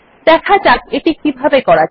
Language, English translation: Bengali, So let us see how it is implemented